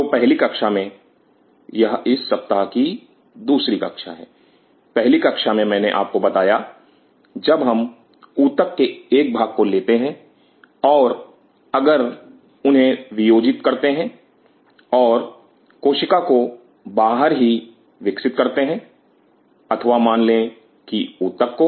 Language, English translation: Hindi, So, in the first class this is our second class of the first week, the first class I told you when we take a part of the tissue and dissociate them and grow the cells outside or even the tissue as a matter fact